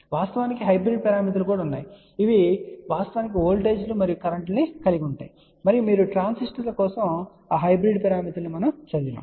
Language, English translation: Telugu, In fact, there are hybrid parameters are also there which actually consist of voltages and currents and you might have studied those hybrid parameters for transistors